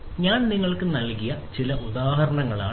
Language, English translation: Malayalam, So, these are some examples that I have given you